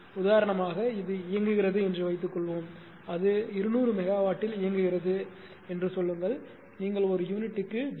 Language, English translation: Tamil, Suppose it was operating at for example, say it was operating at 200 megawatts say and you ah say your ah 0